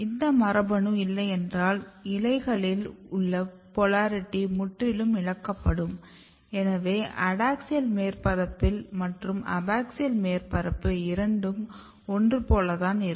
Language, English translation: Tamil, So, if you do not have this gene expressed you can see that these polarity in the leaves are totally lost so adaxial surface and abaxial surface both looks quite similar